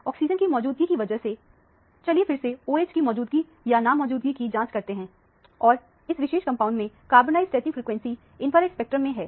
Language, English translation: Hindi, Because of the presence of oxygen, once again let us check for the presence or absence of OH and the carbonyl stretching frequency in the infrared spectrum of this particular compound